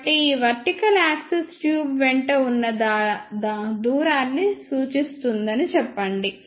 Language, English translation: Telugu, So, let us say this vertical axis represent the distance along the tube